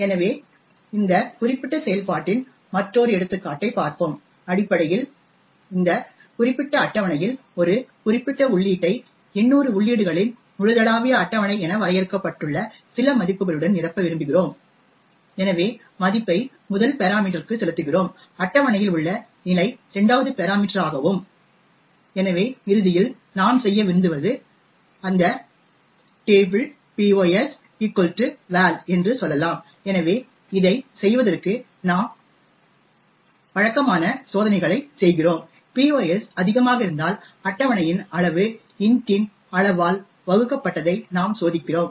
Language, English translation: Tamil, So let us look at another example of this particular function over here where essentially we want to fill one particular entry in this particular table defined as global table of 800 entries with some value, so we pass the value as the first parameter and the position in the table as the 2nd parameter, so what we want to do eventually is to say that table of pos equal to val, so before doing this we do the customary checks, we check that if pos is greater than size of table divided by size of int